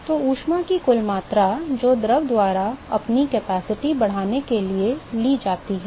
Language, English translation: Hindi, So the net amount of heat that is taken up by the fluid to increase it is capacity